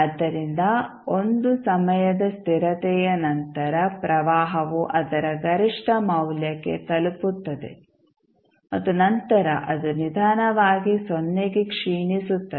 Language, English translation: Kannada, So, that means after 1 time constant the current will reach to its peak value and then it will slowly decay to 0